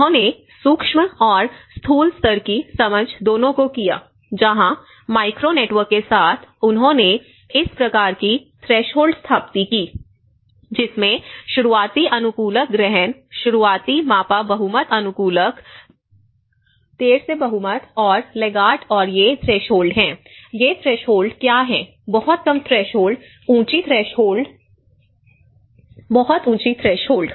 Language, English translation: Hindi, And what they did was; they did both the micro level and the macro level understanding where with a micro neighbourhood networks, they set up this kind of threshold you know the which have the early adopters, early measured majority adopters, late majority and laggards and these threshold; what are these threshold; very low threshold, low threshold, high threshold, very high threshold